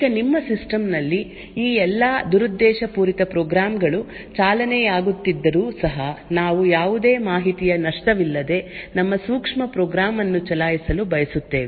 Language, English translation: Kannada, Now in spite of all of these malicious programs running on your system we would still want to run our sensitive program without loss of any information